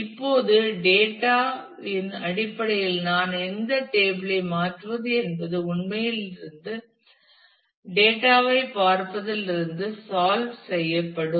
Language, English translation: Tamil, Now, based on the data the switching of which table I am I am actually looking the data from will get solved